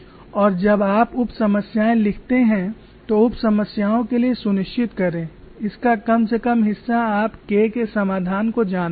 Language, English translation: Hindi, Now write the sub problems and ensure that you know at least part of the solution for K